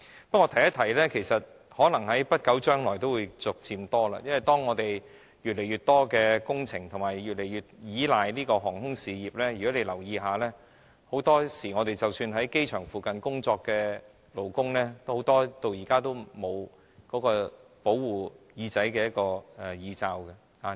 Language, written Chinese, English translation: Cantonese, 不過，我順便一提，這些個案可能在不久將來會逐漸增加，因為當我們越來越多工程是越來越依賴航空事業的，如果大家留意一下，很多時候很多即使在機場附近工作的勞工，到現在都沒有保護耳朵的耳罩。, In passing I would say such cases may increase gradually in the future as more and more works are increasingly dependant on the aviation industry . If you pay some attention to the workers at contruction sites near the airport you may notice that most of them are not wearing protective ear muffers